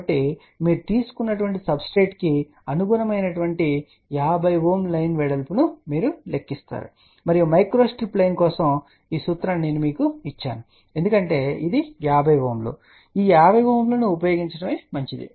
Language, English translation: Telugu, So, you calculate 50 ohm line width corresponding to whatever the substrate you have taken and I have given you the formula for micro strip line because this is 50 ohms it is better to use this 50 ohm